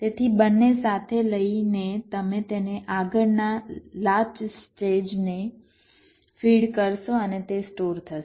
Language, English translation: Gujarati, so, both taken together, you will be feeding it to the next latch stage and it will get stored